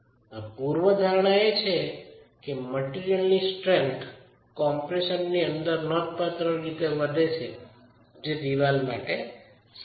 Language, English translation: Gujarati, Underlying assumption is that the material strength in compression is significantly high which is true for masonry